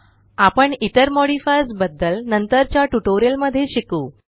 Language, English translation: Marathi, We will see this in detail in later tutorials